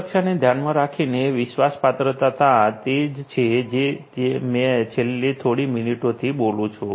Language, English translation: Gujarati, Trustworthiness with respect to security is what I have been talking about in the last few minutes